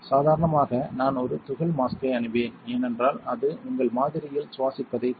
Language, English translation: Tamil, Ordinarily I would wear a particle mask because, that is going to prevent you from breathing on your sample